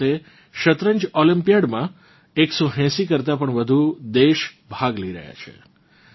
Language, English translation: Gujarati, This time, more than 180 countries are participating in the Chess Olympiad